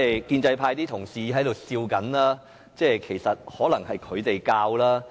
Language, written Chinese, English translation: Cantonese, 建制派同事在笑，可能是他們教的。, Honourable colleagues of the pro - establishment camp are laughing